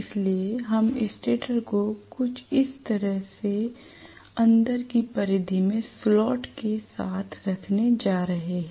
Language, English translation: Hindi, So we are going to have the stator somewhat like this with slots in the inner periphery like this